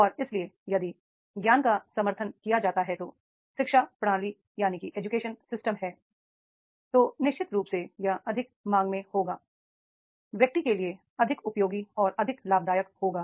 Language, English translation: Hindi, And therefore if the wisdom is supported educational system is there, then definitely that will be more in demand and more useful and more beneficiary to the individual